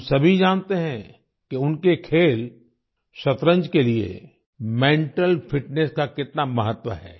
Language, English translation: Hindi, We all know how important mental fitness is for our game of 'Chess'